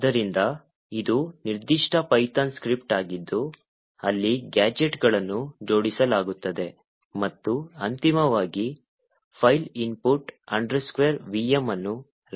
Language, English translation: Kannada, So this is the particular python script, you could actually go through it to see how these gadgets are arranged and eventually the file that gets created, this file called input vm